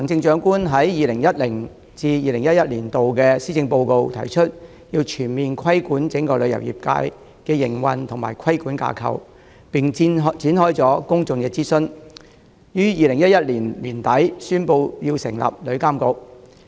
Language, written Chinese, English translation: Cantonese, 在 2010-2011 年度的施政報告中，時任行政長官提出，要全面規管旅遊業界的營運及規管架構，並展開公眾諮詢，於2011年年底宣布成立旅遊業監管局。, In the 2010 Policy Address the incumbent Chief Executive proposed a comprehensive regulation of the operation and regulatory framework of the travel trade and a public consultation was launched accordingly . At the end of 2011 the establishment of the Travel Industry Authority TIA was announced